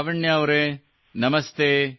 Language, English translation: Kannada, Lavanya ji, Namastey